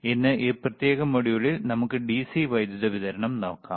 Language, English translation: Malayalam, Today in this particular module, let us see the DC power supply